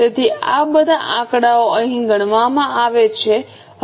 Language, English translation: Gujarati, So, all these figures are calculated here